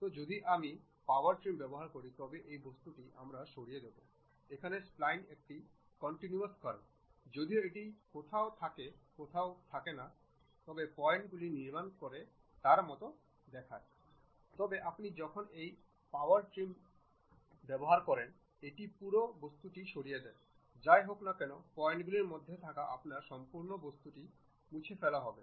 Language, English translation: Bengali, So, if I use Power Trim it removes that object, but here Spline is a continuous curve though it is showing like points from where to where we are going to construct, but when you use this Power Trim it removes the entire object, whatever the entire object you have between the points that will be removed